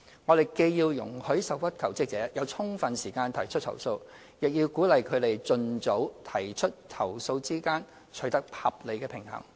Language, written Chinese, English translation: Cantonese, 我們既要容許受屈求職者有充分時間提出投訴，亦要鼓勵他們盡早提出投訴，兩者之間須取得合理平衡。, Between allowing sufficient time for aggrieved jobseekers to file complaints and at the same time encouraging them to file complaints as soon as possible an appropriate balance must be struck